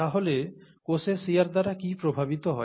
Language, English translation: Bengali, So what gets affected by shear in cells